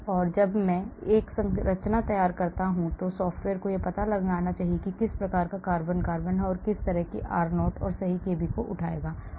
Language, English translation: Hindi, So when I draw a structure the software should identify what type of carbon carbon it is and then it will pick up the correct r0 and correct kb, and calculate the energy